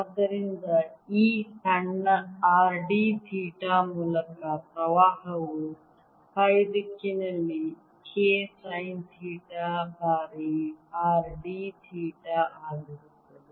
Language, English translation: Kannada, so the current through this small r d theta is going to be k sine theta times r d theta in the phi direction